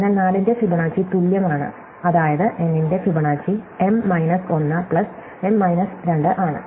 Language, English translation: Malayalam, So, Fibonacci of 4 is equal to, I mean Fibonacci of n is n minus 1 plus n minus 2